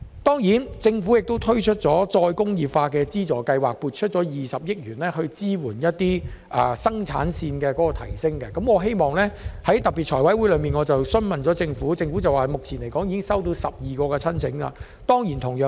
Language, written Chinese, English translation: Cantonese, 對於政府推出再工業化資助計劃，撥出20億元支援提升生產線，我曾在財委會特別會議上向政府提出相關質詢，政府表示目前已經接獲12宗申請。, Given that the Government has introduced the Re - industrialisation Funding Scheme and allocated 2 billion to subsidize the enhancement of production lines I had raised a relevant question to the Government at a special FC meeting and the Government replied that the scheme had received 12 applications so far